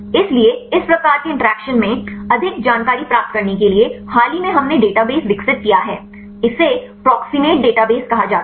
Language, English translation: Hindi, So, to get more information regarding these type of interactions recently we developed database this is called the Proximate database